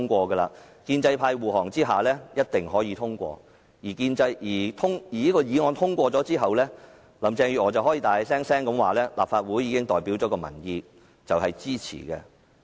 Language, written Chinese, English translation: Cantonese, 在建制派護航下，議案必定可以通過，而在這項議案通過後，林鄭月娥便可以大聲宣布代表民意的立法會支持有關安排。, It will certainly be passed with the pro - establishment camp acting convoy . After its passage Carrie LAM will then be able to declare aloud that such arrangement is supported by the Legislative Council which represents public opinion